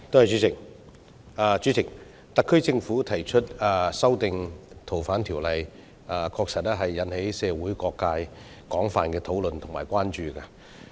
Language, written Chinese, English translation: Cantonese, 主席，特區政府提出修訂《逃犯條例》，確實引起社會各界廣泛討論及關注。, President the SAR Governments proposal to amend the Fugitive Offenders Ordinance has indeed aroused widespread discussion and concerns among various sectors of the community